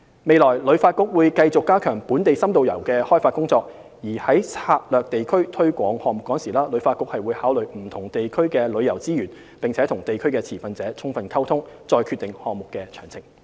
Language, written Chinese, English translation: Cantonese, 未來，旅發局會繼續加強本地深度遊的開發工作，而在策劃地區推廣項目時，旅發局會考慮不同地區的旅遊資源，並與地區持份者充分溝通，再決定項目的詳情。, In the future HKTB will continue to step up efforts in developing in - depth local tourism . HKTB will take the distribution of tourism resources in different districts into consideration and communicate thoroughly with district stakeholders when making plans for district programmes and deciding programme details